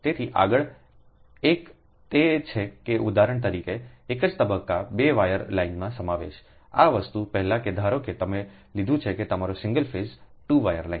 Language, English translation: Gujarati, so next one is that inductance of a single phase two wire line right, for example, before this thing, that suppose you have taken that your single phase two wire lines, right